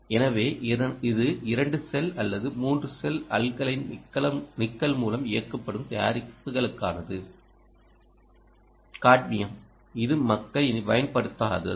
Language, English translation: Tamil, so this is a for products powered by either two cell or three cel ah, alkaline ah, nickel, cadmium, which people dont use anymore